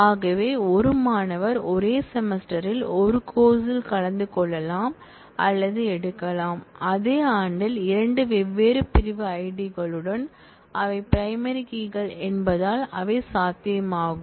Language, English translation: Tamil, So which means that it is possible that, a student can attend or take a course in the same semester, in the same year with 2 different section IDs because they are primary keys